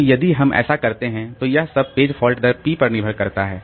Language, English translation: Hindi, Now if we so it all depends on the page fault rate p